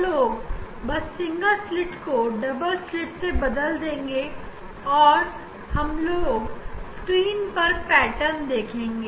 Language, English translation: Hindi, we will just we will replace the single slit by double slit, and we will see the pattern on the screen